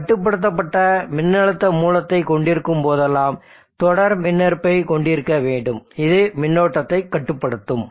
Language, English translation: Tamil, So whenever you are having control voltage source you need to have a series impedance which will limit the current